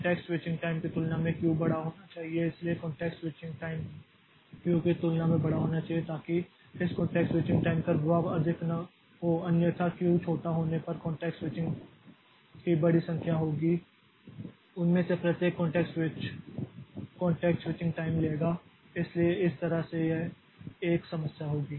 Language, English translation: Hindi, Q should be large compared to context switching time so compared to context switching time so that we don't have the impact of this context switching time much otherwise there will be a large number of context switching if Q value is small and each of those context switch so that will take that contact switching time so that way it will be a problem